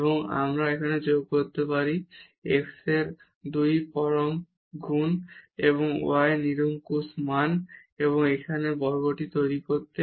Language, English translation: Bengali, And then we can add here plus 2 times absolute value of x plus absolute value of y to make this square here